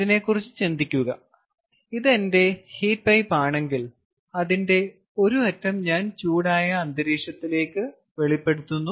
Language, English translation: Malayalam, so think about it: if this is my heat pipe and on one end i expose it to a heated ambient, ok, so i will say hot ambient